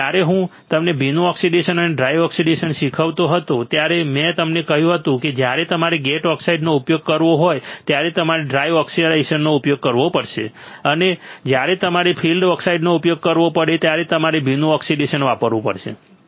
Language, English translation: Gujarati, And when I was teaching you wet oxidation and dry oxidation, I told you that when you have to use gate oxide you have to use dry oxidation and when you have to use field oxide you have to use wet oxidation